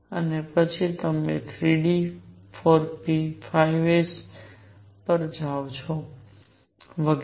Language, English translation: Gujarati, And then you come to 3 d, 4 p, 5 s and so on